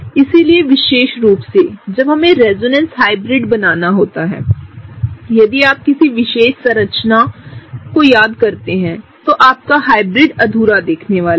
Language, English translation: Hindi, So, especially when we have to draw resonance hybrid, if you miss out on a particular resonance structure, your hybrid is gonna look incomplete